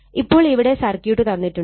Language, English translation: Malayalam, So, this is the circuit is given